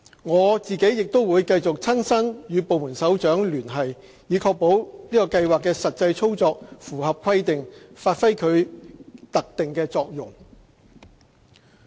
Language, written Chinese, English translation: Cantonese, 我亦會繼續親身與部門首長聯繫，以確保計劃的實際操作符合規定，發揮其特定作用。, I will also contact the heads of department concerned in person in order to ensure that the actual operation of the scheme will meet the requirements and to play its special role